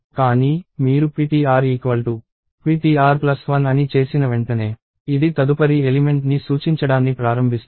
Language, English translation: Telugu, But, the moment you do ptr is ptr plus 1; it is starts pointing to the next element